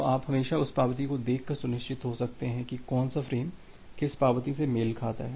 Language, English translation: Hindi, So, you can always be sure by looking at the acknowledgement that which for which frame this acknowledgement corresponds to